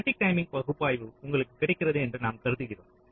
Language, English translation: Tamil, so static timing analyzer is available to you